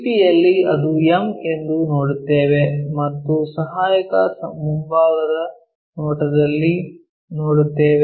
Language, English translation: Kannada, On VP we will see that is m and on auxiliary front view we will see